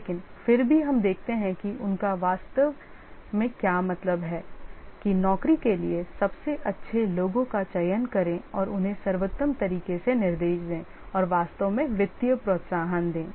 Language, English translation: Hindi, But still, let's see what he really meant that select the best people for job, instruct them in the best methods and give financial incentive, quite intuitive actually